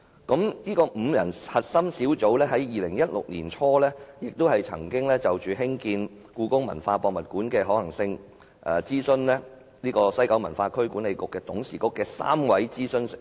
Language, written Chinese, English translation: Cantonese, 該5人核心小組於2016年年初曾就興建故宮館的可行性諮詢西九文化區管理局董事局3位資深成員。, In early 2016 the five - member core team consulted three senior members of the WKCDA Board on the feasibility of building HKPM